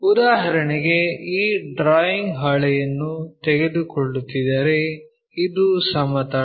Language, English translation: Kannada, For example, if we are taking this drawing sheet, it is a plane